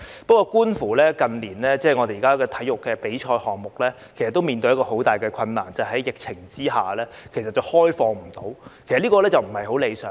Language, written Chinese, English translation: Cantonese, 不過，近年體育比賽面對很大的困難，就是在疫情下，不能開放比賽，其實這不太理想。, However sports competitions have been faced with tremendous difficulties in recent years . That is to say amid the pandemic it has been impossible to hold competitions with spectators which is actually rather unsatisfactory